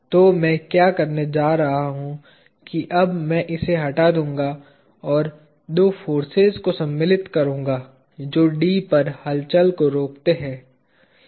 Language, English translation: Hindi, So, what I am going to do is I am going to now remove this and insert two forces that prevented movement at D